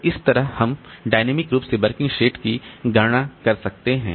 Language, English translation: Hindi, So, this way we can compute the working set dynamically